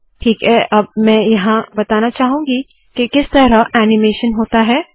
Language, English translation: Hindi, Now here I want to point out the way animation happens